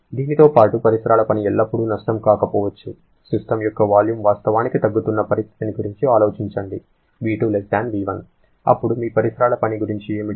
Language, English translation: Telugu, In addition to that, surrounding work may not always be a loss, just think about the situation where the volume of the system is actually reducing that is your V2<V1